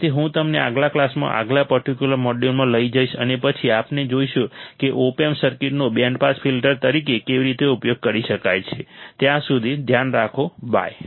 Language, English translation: Gujarati, So, I will catch you in the next class in the next particular module and then we will see how the op amp circuits can be used as a band pass filter till then take care, bye